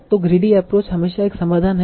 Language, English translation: Hindi, So a greedy approach is always a solution